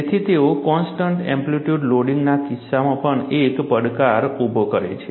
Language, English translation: Gujarati, So, they pose a challenge, even in the case of constant amplitude loading